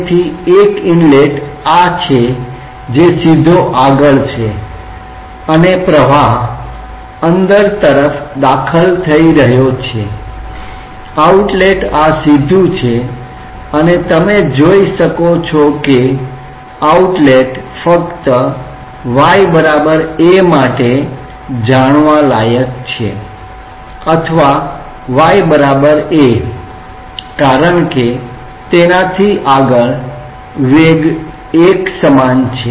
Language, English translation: Gujarati, So, one inlet is this one which is straight forward that the flow is entering, outlet this is straight forward and you can see that outlet is interesting only up to y equal to a or y equal to minus a because beyond that the velocity is uniform